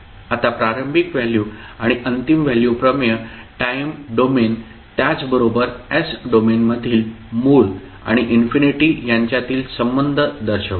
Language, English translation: Marathi, Now initial values and final value theorems shows the relationship between origin and the infinity in the time domain as well as in the s domain